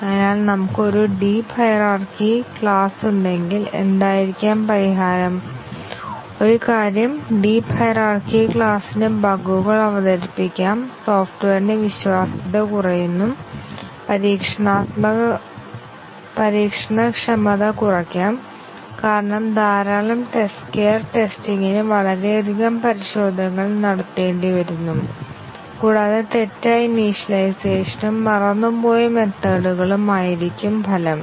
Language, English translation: Malayalam, So, if we have a deep class hierarchy what may be the solution, one thing is that a deep class hierarchy may introduce bugs, result in low reliability of the software, reduce testability because too many test cares testing has too much of testing has to be done and also incorrect initialization and forgotten methods may result